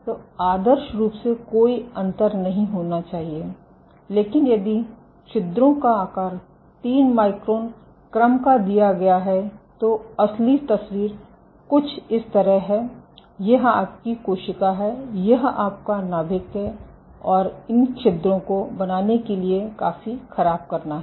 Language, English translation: Hindi, So, ideally there should be no difference, but if your pore size is ordered 3 microns then the real picture is something like this, this is your cell and this is your nucleus it has to deform significantly to make it through the pore ok